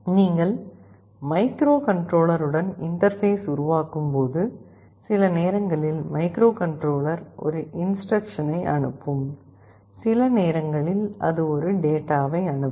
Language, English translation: Tamil, When you are interfacing with the microcontroller, sometimes microcontroller will be sending an instruction; sometimes it will be sending a data